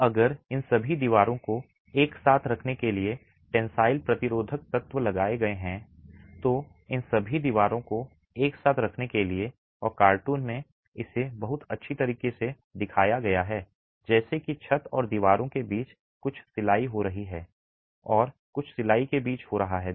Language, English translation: Hindi, Now if tensile resisting elements were put in place, if ties were put in place to hold all these walls together and in the cartoon it is very nicely shown as some stitching that is happening between the roof and the walls and some stitching that is happening between the walls